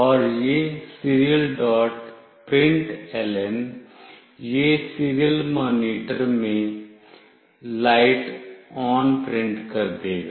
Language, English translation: Hindi, println, it will print “Light ON” in the serial monitor